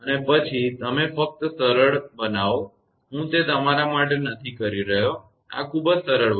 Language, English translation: Gujarati, And then you just simplify; I am not doing it for you; this is very simple thing